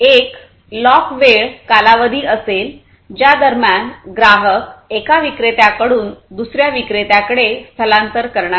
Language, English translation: Marathi, So, basically there will be a lock in time period during, which the customers will not migrate from one vendor to another